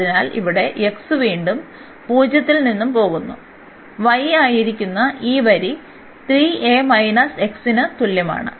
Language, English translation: Malayalam, So, here x goes from 0 again and to this line which was y is equal to 3 a minus x